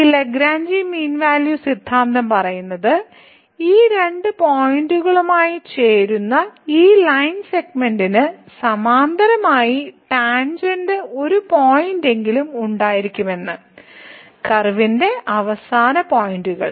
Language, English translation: Malayalam, So, this Lagrange mean value theorem says that there will be at least one point where the tangent will be parallel to this line segment joining these two points, the end points of the curve